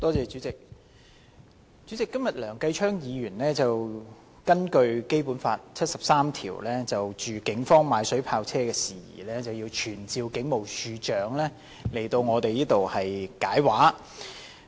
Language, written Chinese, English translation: Cantonese, 主席，今天梁繼昌議員根據《基本法》第七十三條動議議案，就警方購買水炮車的事宜傳召警務處處長到立法會作出解釋。, President Mr Kenneth LEUNG has moved today a motion under Article 73 of the Basic Law to summon the Commissioner of Police to the Legislative Council to elucidate the Polices purchase of vehicles equipped with water cannon